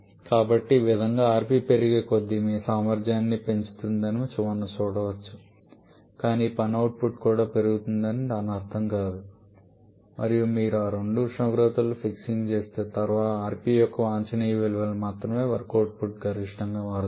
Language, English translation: Telugu, So this way we can see that as rp increases your efficiency increases but that does not mean that work output is also increased because of work out becomes maximum and only for an optimum value of rp once you are fixing that 2 temperatures